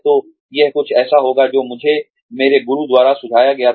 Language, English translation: Hindi, So, this is something that had been suggested to me, by my mentors